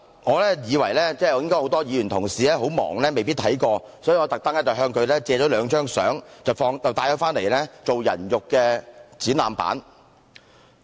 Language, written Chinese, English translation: Cantonese, 我認為很多議員同事應該很忙，未必看過這個展覽，所以我特地向他們借來兩張照片，放在會議廳作"人肉展覽板"。, As I think a number of Honourable colleagues may be too busy to attend this exhibition I specially borrowed two pictures from them as human display boards here in the Chamber . Poverty